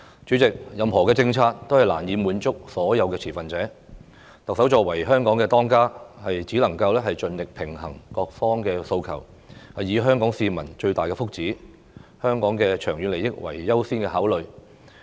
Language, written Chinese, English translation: Cantonese, 主席，任何政策都難以滿足所有持份者，特首作為香港的"當家"，只能盡力平衡各方訴求，以香港市民的最大福祉、香港的長遠利益為優先考慮。, President it is impossible for a policy to satisfy all stakeholders . As the head of Hong Kong the Chief Executive can only do her best to balance the demands of different parties with the best welfare of Hong Kong people and the long - term interests of Hong Kong as the top priority